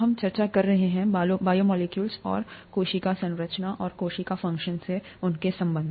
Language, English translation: Hindi, We are discussing ‘Biomolecules and their relationship to the cell structure and function’